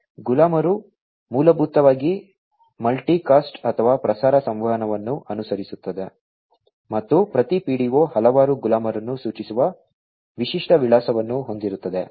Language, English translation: Kannada, So, the slaves basically will follow multicast or, broadcast communication and every PDO contains a distinct address denoting the several slaves